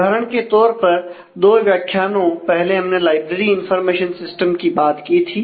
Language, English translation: Hindi, For example, couple of modules back we are talking about the library information system